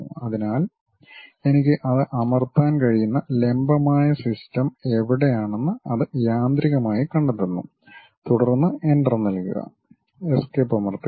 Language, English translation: Malayalam, So, it automatically detects where is that perpendicular kind of system I can press that, then Enter, press Escape